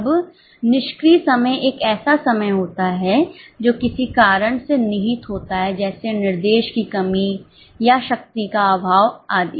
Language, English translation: Hindi, Now, idle time is a time which is wasted because of some reason like lack of instruction or lack of power etc